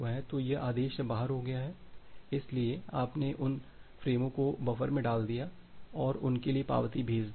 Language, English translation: Hindi, So, this has received out of order so you have put those frames in the buffer and send the acknowledgement for them